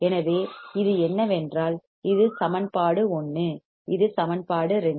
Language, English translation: Tamil, So, what we will have this is if I say this is equation 1, this is equation 2